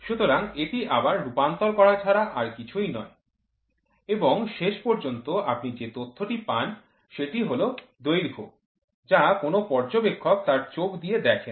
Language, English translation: Bengali, So, that is nothing but again a translation happens and then finally, what you get is the length data which an observer looks through his eyes